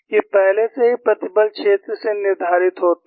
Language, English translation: Hindi, These are already determined from the stress field